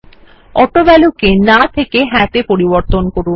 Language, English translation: Bengali, Change AutoValue from No to Yes